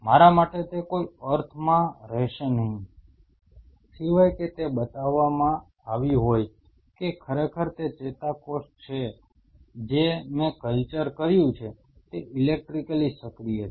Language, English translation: Gujarati, For me it would not make any sense unless otherwise it has been shown that s indeed those neurons what I have cultured are electrically active